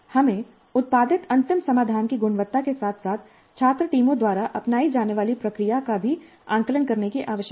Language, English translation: Hindi, We also need to assess the final solution, the quality of the final solution produced, as well as the process followed by the student teams